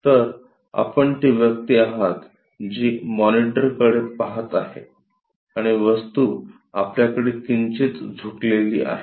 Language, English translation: Marathi, So, you are the person, who is looking at the monitor and the object is slightly inclined with you